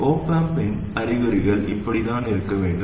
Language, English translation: Tamil, The signs of the op amp must be like this